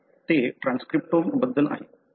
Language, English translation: Marathi, So, that is about the transcriptome